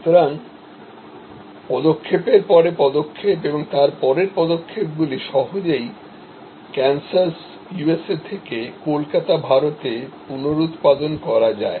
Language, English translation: Bengali, So, steps after steps, after steps and easily reproduced from Kansas USA to Calcutta India